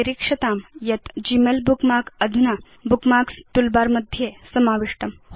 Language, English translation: Sanskrit, Observe that the Gmail bookmark is now added to the Bookmarks toolbar